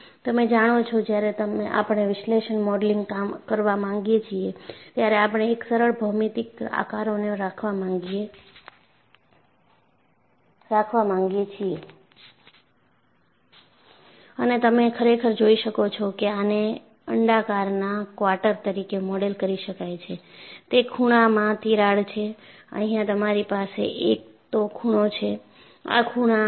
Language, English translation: Gujarati, You know, when we want to do a analytical modeling, we would like to have simple geometric shapes and you can really see that, this could be modeled as quarter of an ellipse; it is a corner crack, you have a corner here